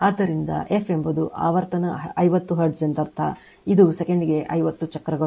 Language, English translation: Kannada, So, f is the frequency that is your say frequency 50 hertz means; it is 50 cycles per second right